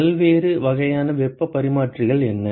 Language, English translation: Tamil, What are the different types of heat exchangers